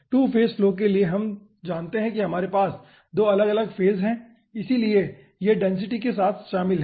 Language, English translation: Hindi, you know that as we are having 2 different phases, so it involves with 2 densities